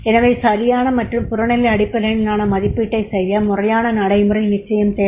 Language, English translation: Tamil, So to make the correct and objective based appraisal a formal procedure is needed